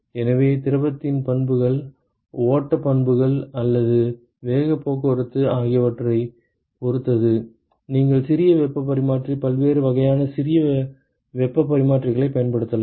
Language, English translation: Tamil, So, depending upon the properties of the fluid, the flow properties or the momentum transport, you can use compact heat exchanger, different types of compact heat exchangers